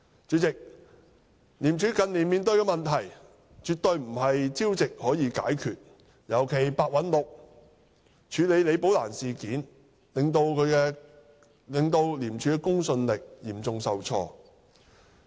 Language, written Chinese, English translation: Cantonese, 主席，廉署近年面對的問題絕非朝夕可以解決，尤其是白韞六對李寶蘭事件的處理手法，令廉署的公信力嚴重受挫。, President the problems faced by ICAC in recent years absolutely cannot be resolved overnight especially as the approach adopted by Simon PEH in handling the incident of Rebecca LI has dealt a heavy blow to the credibility of ICAC